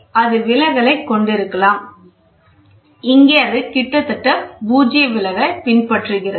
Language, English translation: Tamil, So, it can have deflection so, here it is almost, null deflection is what we follow